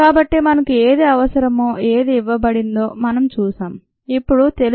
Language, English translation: Telugu, so we have seen what is needed and what are known are given